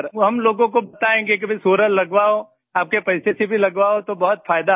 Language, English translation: Hindi, We will tell all of them Sir, to get solar installed, even with your own money,… even then, there is a lot of benefit